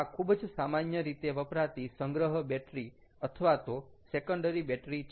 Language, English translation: Gujarati, this is very commonly used as storage battery or secondary battery